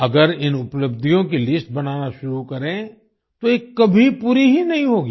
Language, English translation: Hindi, If we start making a list of these achievements, it can never be completed